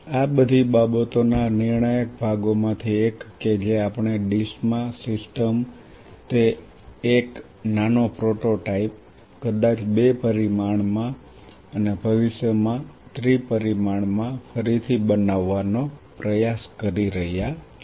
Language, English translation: Gujarati, One of the critical parts of all these things that we are trying to rebuilt a system in a dish a small prototype of it maybe in a two dimension and in future in a three dimension